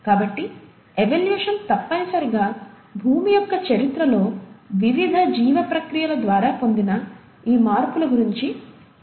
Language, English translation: Telugu, So, evolution essentially talks about these changes which have been acquired by various life processes over the course of earth’s history